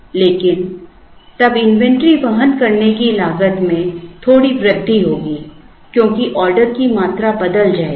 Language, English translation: Hindi, But, then there will be a slight increase in the inventory carrying cost, because the order quantities will change